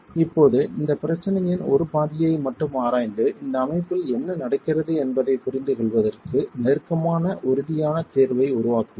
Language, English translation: Tamil, Okay, let's just examine, let's just examine one half of this problem and create a close form solution to understand what is happening in this system